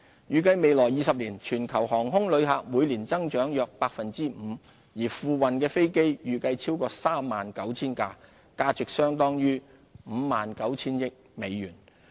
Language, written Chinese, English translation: Cantonese, 預計在未來20年，全球航空旅客每年增長約 5%， 而付運的飛機預計超過 39,000 架，價值相當於約 59,000 億美元。, Over the next 20 years the number of global aviation passengers is expected to grow at about 5 % per annum and that of new aircraft delivered is estimated at over 39 000 valued at about US5.9 trillion